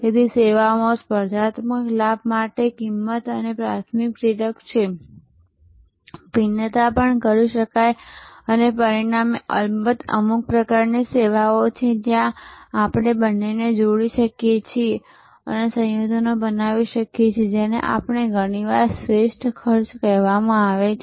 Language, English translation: Gujarati, So, cost is the primary driver for competitive advantage in services, differentiations can also be done and as a result there are of course, certain types of services, where we can combine the two and create combinations which are often called best cost